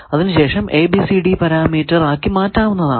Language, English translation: Malayalam, So, let us find its ABCD parameter